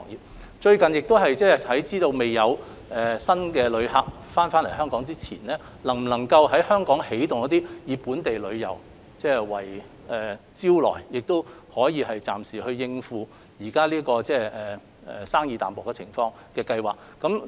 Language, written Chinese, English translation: Cantonese, 政府最近看到並考慮在未有新旅客訪港前，能否在香港推動本地旅遊，以本地旅遊來作為招徠，藉此暫時應付現時旅遊業生意淡薄的情況。, Recently seeing that no new visitors are coming to visit Hong Kong recently the Government is considering whether local tourism schemes can be promoted by making them a selling point to address the current bleak business situation of the tourism industry before new visitors come